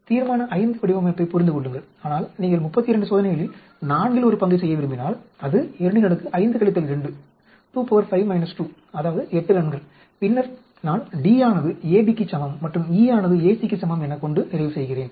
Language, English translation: Tamil, Understand Resolution V design, but if you want to do one fourth of 32 experiment, that is 2 raise to the power 5 minus 2 that is 8 runs, then I end up having D equal to AB, E equal to AC